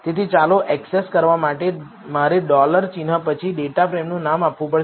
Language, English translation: Gujarati, So, in order to access the variables, I need to give the name of the data frame followed by a dollar symbol